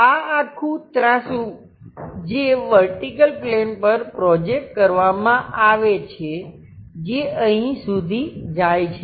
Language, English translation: Gujarati, This is a entire incline one projected onto vertical plane which goes all the way up here